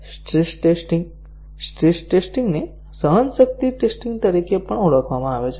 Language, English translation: Gujarati, Stress tests; the stress tests is also called as endurance testing